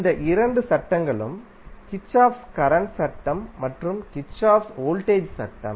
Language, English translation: Tamil, These two laws are Kirchhoff’s current law and Kirchhoff’s voltage law